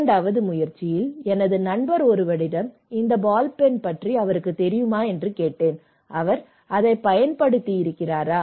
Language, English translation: Tamil, So, maybe in time 2, I asked one of my friend, hey, do you know about this ball pen, any idea, have you ever used this ball pen